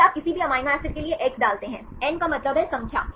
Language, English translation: Hindi, Then you put x for any amino acid, n means number of times